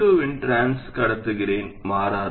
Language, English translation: Tamil, So the transconductance of M2 doesn't change at all